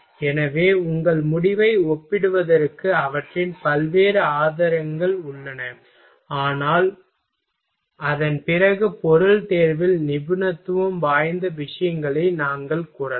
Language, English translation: Tamil, So, their variety of sources are available to compare your result, but after that at the end we can say that of expertise matters in material selection